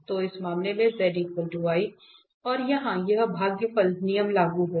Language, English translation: Hindi, So, in this case z is equal to i and here this quotient rule will be applicable